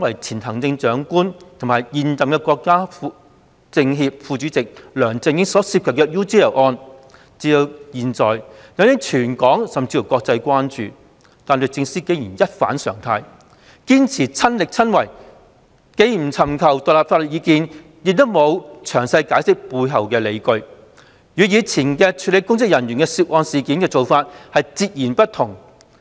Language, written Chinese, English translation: Cantonese, 前行政長官和現任全國政協副主席的梁振英所涉及的 UGL 一案至今引起全港甚至國際關注，但律政司竟然一反常態，堅持"親力親為"，既不尋求獨立法律意見，亦沒有詳細解釋背後理據，與以往處理涉及公職人員的案件的手法截然不同。, The UGL case involving LEUNG Chun - ying who is former Chief Executive and current Vice - Chairman of the CPPCC National Committee has aroused local and global concern . But DoJ nonetheless insisted on taking up the case itself in defiance of the normal practice and refused to seek independent legal advice and offer any detailed explanation on the underlying grounds in total contrast to its handling of previous cases involving public officers